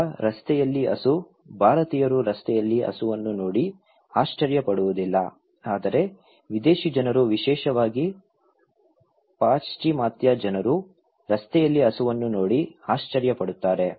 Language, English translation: Kannada, Or maybe cow on the road, Indians wonít be surprised seeing cow on the road but a foreign people particularly, Western people very surprised seeing cow on the road